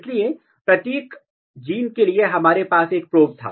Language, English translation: Hindi, So, for every gene we had a kind of probe